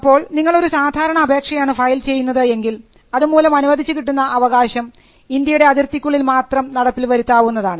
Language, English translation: Malayalam, So, if you file an ordinary application, then you would get a grant, that is enforceable in or within the territory of India